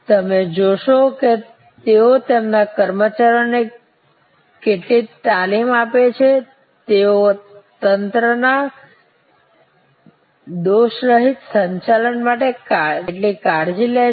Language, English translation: Gujarati, You will see how much training they put in to their employees, how much care they take for the flawless operation of the systems